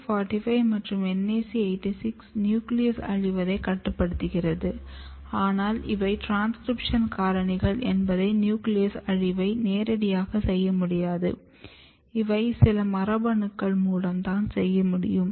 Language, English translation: Tamil, So, NAC45 and NAC86 is regulating nucleus degradation, but it is transcription factor it cannot go and directly regulate the process of nucleus degradation, it must be regulating some of the genes which is directly involved in the process of nuclear degradation